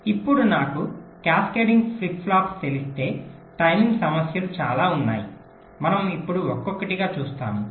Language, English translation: Telugu, now, if i new cascading flip flops, there are lot of timing issues that we shall see now one by one